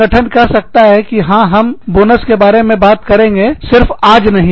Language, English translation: Hindi, The organization, can always say that, yes, we can talk about, bonuses, just not today